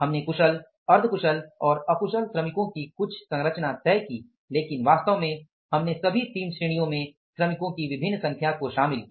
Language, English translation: Hindi, We decided some composition of the skilled, semi skilled and unskilled workers but actually we involved different number of the workers in all the three categories